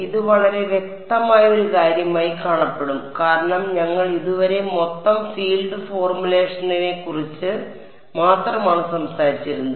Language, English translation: Malayalam, This will look like a very obvious thing because so far we have been only talking about total field formulation